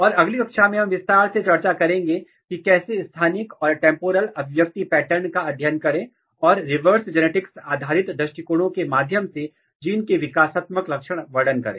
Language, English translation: Hindi, And in next class we will discuss in detail, how to study spatial and temporal expression pattern and functional characterization of gene through reverse genetics based approaches